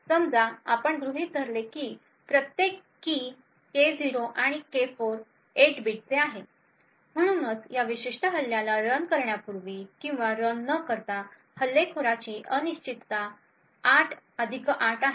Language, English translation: Marathi, Suppose we assume that each key K0 and K4 is of 8 bits, therefore before running or without running this particular attack the uncertainty of the attacker is 8 plus 8 that is 16 bits